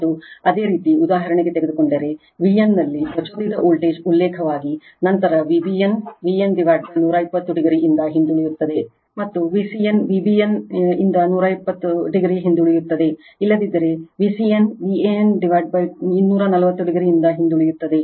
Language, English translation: Kannada, And if you take for example, voltage induced in V n as the reference, then V b n lags from V n by 120 degree, and V c n lags from V b n 120 degree, otherwise V c n lags from V a n by two 240 degree right